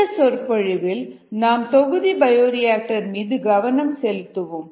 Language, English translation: Tamil, in this lecture let us focus on the batch bioreactor